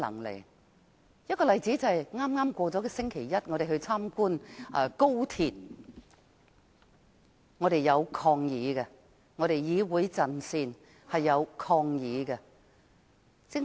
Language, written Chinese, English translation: Cantonese, 舉例來說，在剛剛過去的星期一，我們參觀了高鐵，而我們議會陣線當時採取了抗議行動。, Take our visit to the Express Rail Link last Monday as an example . We in the Council Front staged a protest during the visit